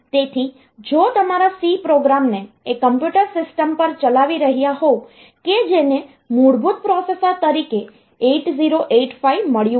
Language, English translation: Gujarati, So, if today you are running your c program on a on a computer system that has got 8085 as the basic processor